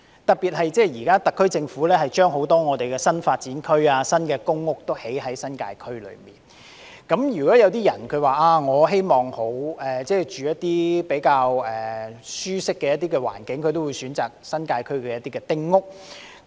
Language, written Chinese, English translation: Cantonese, 特別是，特區政府在新界區發展很多新發展區及公共屋邨，而如果市民想居住環境較舒適，也會選擇新界區的丁屋。, In particular the SAR Government has been developing a lot of new development areas and public housing estates in the New Territories and people who prefer a more comfortable environment will also choose to live in small houses in the New Territories